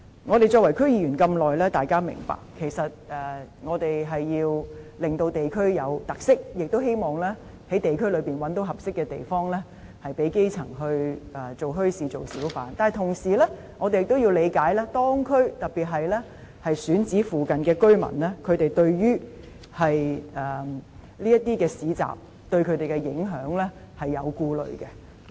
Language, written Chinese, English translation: Cantonese, 我們擔任區議員這麼久，大家也明白，其實我們是要令地區具有特色，並希望可在地區內覓得合適的地方興建墟市，讓基層可以做小販，但同時我們也必須理解，當區，特別是選址附近的居民對於這些市集會造成的影響是有所顧慮的。, We have served as DC members for a long time and we all understand that our aim is to enable various districts to have their own special characteristics and it is also hoped that suitable sites can be identified in the districts for the establishment of bazaars so that the grass roots can work as hawkers . However we must also understand that in the districts concerned in particular among residents near the selected sites there are concerns about the impact of these bazaars